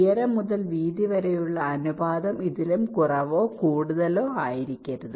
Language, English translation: Malayalam, the height to width ratio cannot be more then or less then this